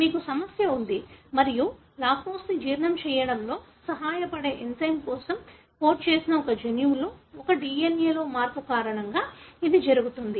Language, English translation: Telugu, So, you have problem and it happens because of a change in a DNA, in a gene that codes for an enzyme which helps in digesting the lactose